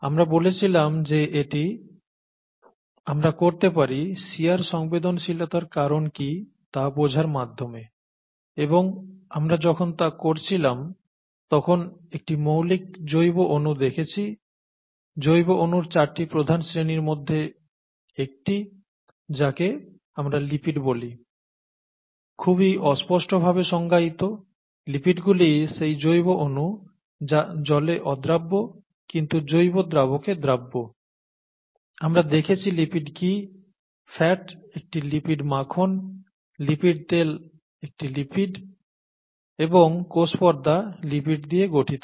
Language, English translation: Bengali, We said that we could do that by understanding what causes the shear sensitivity and when we looked at that we came across a fundamental biomolecule one of the four major classes of biomolecules called lipids, defined in a vague fashion, its defined, lipids are biomolecules that are soluble, that are insoluble in water but soluble in organic solvents, let’s leave it at that that doesn’t matter and we saw what lipids are fat is a lipid butter is a lipid oil is a lipid and lipids make up the cell membranes